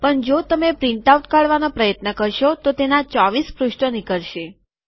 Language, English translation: Gujarati, But if you try to print out, it will produce 24 pages